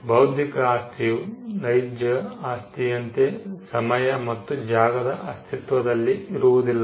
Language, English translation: Kannada, Intellectual property does not exist in time and space like real property